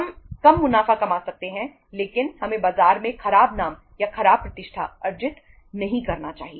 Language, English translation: Hindi, We can earn the lesser profits but we should not be earning bad name or bad reputation in the market